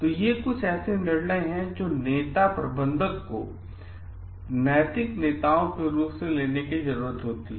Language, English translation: Hindi, So, these are certain decisions that the leader manager in terms of like moral leaders need to take